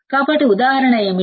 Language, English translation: Telugu, So, what is the example